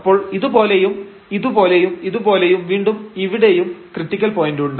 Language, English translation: Malayalam, So, we can see like this one this one this one this one and again here there is a critical point